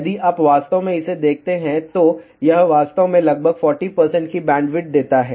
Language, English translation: Hindi, If you really look at it, this actually gives bandwidth of approximately 40 percent